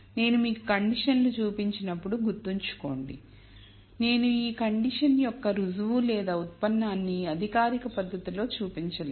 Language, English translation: Telugu, Keep in mind that while I have shown you the conditions, I have not shown a proof or a derivation of these conditions in a formal manner